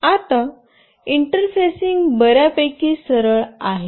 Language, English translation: Marathi, Now, the interfacing is fairly very straightforward